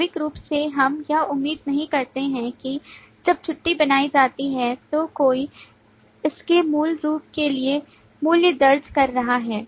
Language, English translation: Hindi, Naturally we do not expect that while the leave is created, somebody is entering a value for its value